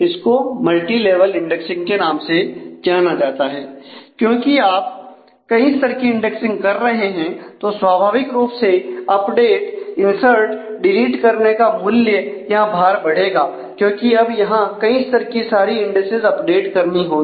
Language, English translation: Hindi, Because, you are following multiple levels for indexing and the cost naturally of update insert delete increases; because now all of these multiple levels of indices will have to be updated